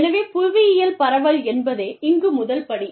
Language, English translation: Tamil, So, geographic spread is, you know, is the first step, here